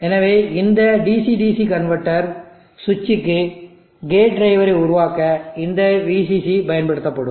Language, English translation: Tamil, So this VCC will be used for generating the gate drive for switching this DC DC converter